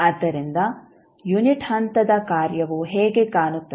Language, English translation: Kannada, So, how the unit step function will look like